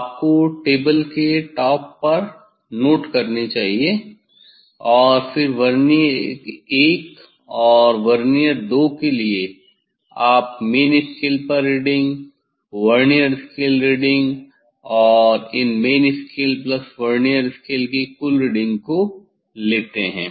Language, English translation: Hindi, that you should note down on the top of the table and then this for Vernier I and Vernier II, you take the main scale reading, Vernier scale reading, the total of these main scale plus Vernier scale reading